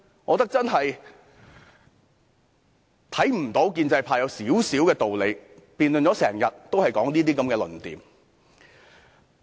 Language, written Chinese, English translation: Cantonese, 我看不到建制派有一點點道理，辯論了一整天，也只是提出這些論調。, I fail to see any reason on the part of pro - establishment Members who have only kept making such arguments in this day - long debate